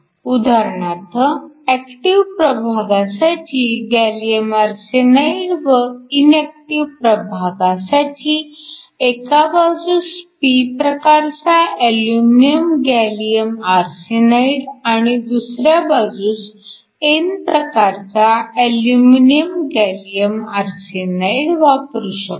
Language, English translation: Marathi, For example, you can have an active region that is made a gallium arsenide and your inactive regions could be P type aluminum gallium arsenide on one side and n type aluminum gallium arsenide on the other